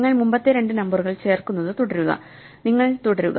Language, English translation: Malayalam, So, you just keep adding the previous two numbers and you go on